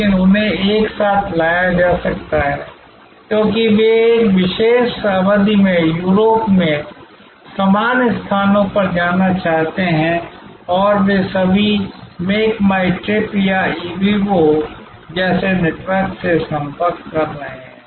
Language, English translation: Hindi, But, they might have been brought together, because they want to visit the same locations in Europe at a particular period and they are all approaching a network like Make my trip or Ibibo